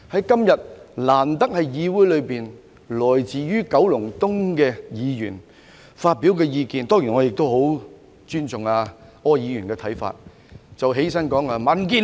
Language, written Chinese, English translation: Cantonese, 今天，難得在議會內，來自九龍東選區的議員發表他的意見——當然我很尊重柯議員的看法。, Today in the Council it has been rare that the Member from the Kowloon East constituency voiced his views―of course I very much respect Mr ORs views